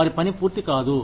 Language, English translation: Telugu, Their work, does not get done